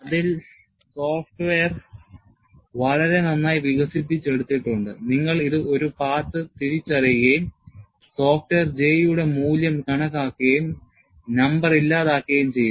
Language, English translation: Malayalam, There the software is so well developed, you identify a path and the software calculates the value of J, and churns out the number